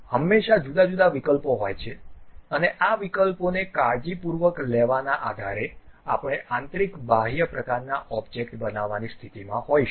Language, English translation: Gujarati, So, there always be different options and based on carefully picking these options we will be in a position to really construct internal external kind of objects